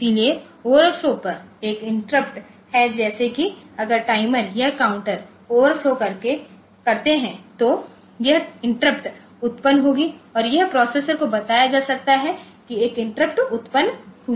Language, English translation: Hindi, So, there is an interrupt on the overflow like if they when the timer or the counter overflows then this interrupt will be generated and it can be told the processor can be told that an interrupt has occurred